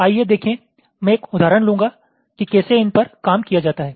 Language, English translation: Hindi, let see i will take an example how these are worked out